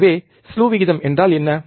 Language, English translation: Tamil, So, what is slew rate